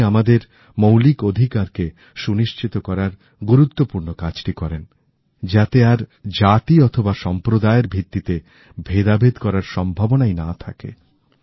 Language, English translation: Bengali, He strove to ensure enshrinement of fundamental rights that obliterated any possibility of discrimination on the basis of caste and community